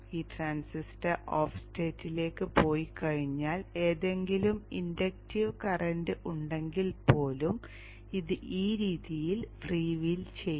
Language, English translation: Malayalam, Once this transitor goes to off state, even if there is any inductive current, this will free will be in this fashion